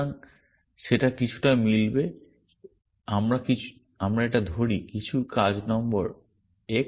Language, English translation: Bengali, So, that will match something, some working number x let us call it